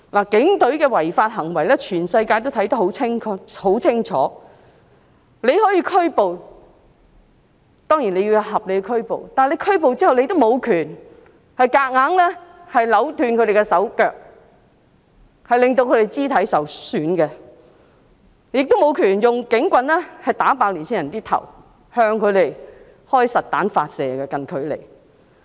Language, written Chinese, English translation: Cantonese, 警隊的違法行為，全世界都看得很清楚，他們當然可以作出合理的拘捕，但拘捕後，警察無權強行扭斷被捕人士的手腳，令他們肢體受損，亦無權用警棍"打爆"年輕人的頭，向他們近距離發射實彈。, The illegal acts of the Police have been exposed to the world . The Police can certainly make reasonable arrests . However the Police have no right to forcibly twist the hands and feet of arrestees injuring their limbs; the Police also do not have the right to hit the head of young people with a police baton and shoot them in close range with real bullets